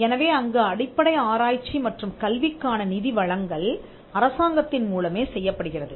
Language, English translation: Tamil, So, the funding fundamental research and education is something that is done by the government